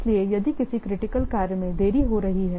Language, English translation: Hindi, So, if a critical tax, it's getting delayed